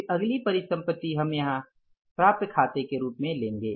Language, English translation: Hindi, So first liability we take here as the accounts payable